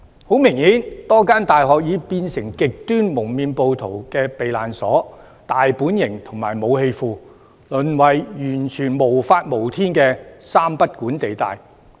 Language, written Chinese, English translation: Cantonese, 很明顯，多間大學已變成極端蒙面暴徒的避難所、大本營和武器庫，淪為完全無法無天的三不管地帶。, Almost all universities are forced to suspend classes . Several universities have obviously become the refuges base camps and weapon storehouses for the extremist masked rioters . These universities have utterly become places without law order and regulation